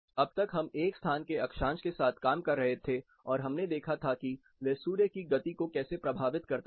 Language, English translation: Hindi, So far we have been dealing with the latitude of a location and how it effects the sun’s movement